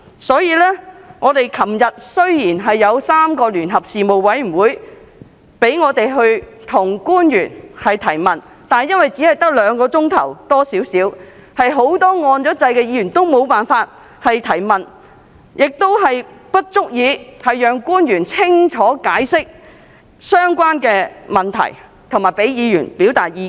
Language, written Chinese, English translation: Cantonese, 雖然昨天3個事務委員會舉行了一次聯席會議，讓議員向官員提問，但由於會議時間只有約兩小時，因此很多按下"要求發言"按鈕的議員皆未能提問，而時間亦不足以讓官員清楚解釋相關問題，以及讓議員表達意見。, While a joint meeting involving three Panels was held yesterday for Members to put questions to officials many Members who had pressed the Request to speak button were unable to get an opportunity to ask questions because the meeting merely spanned around two hours . Besides owing to insufficient meeting time officials and Members were unable to offer a clear account on the relevant issues and put forth their views respectively